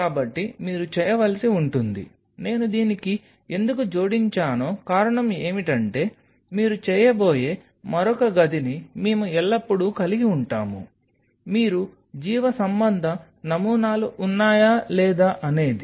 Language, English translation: Telugu, So, you have to because the reason why I am adding up to this we will always thing will have another room where you are going to do, it whether the thing is that you are biological samples are there